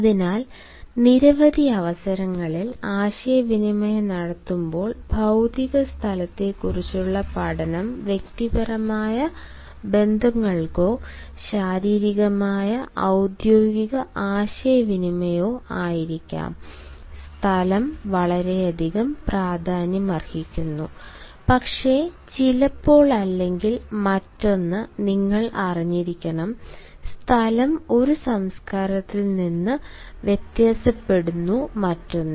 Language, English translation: Malayalam, while communicating, on several occasions, be it for the sake of personal relationships, our physicals or official communication, space matters a lot, but then, sometimes or the other, you also must know that space varies from one culture to another